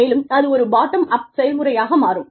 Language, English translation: Tamil, And, that in turn, becomes a bottom up process